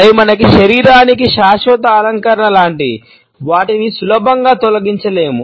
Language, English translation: Telugu, They are like a permanent decoration to our body which cannot be easily removed